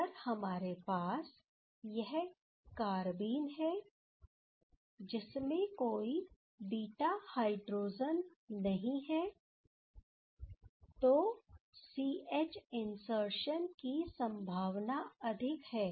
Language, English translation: Hindi, So, if we have this carbene with no beta hydrogen, then there is high possibility of C H insertion ok